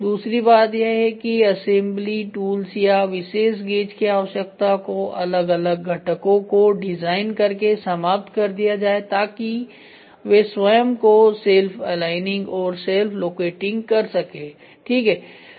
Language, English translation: Hindi, Second thing is eliminate the need for assembly tools are special gauges by designing individual components to be self align and self locating ok